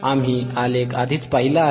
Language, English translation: Marathi, We have already seen the graph